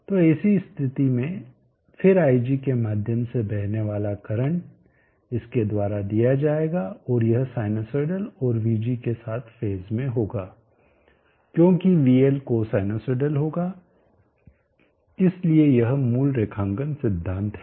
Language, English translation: Hindi, So under such conditions then the current that is flowing through ig will be as given by this and it will be sinusoidal and in phase with vg, because vl will be co sinusoidal, so this is the basic underline principle